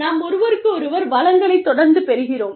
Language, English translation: Tamil, We are constantly drawing, from each other's resources